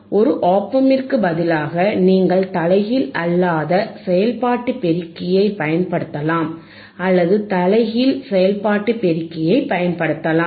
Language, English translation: Tamil, And instead of ian op amp, you can use non inverting operational amplifier or you can use the inverting operational amplifier